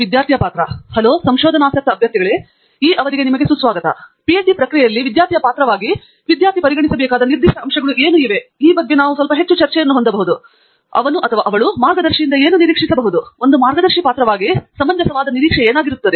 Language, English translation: Kannada, So, maybe we can have some more discussion on what we feel is are now specific aspects that a student should consider as role of a student in the PhD process, and may be what he or she can expect from a guide, and therefore, what would be a reasonable expectation as a role of a guide